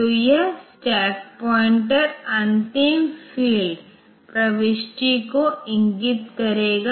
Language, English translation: Hindi, So, this stack pointer will point to the last field entry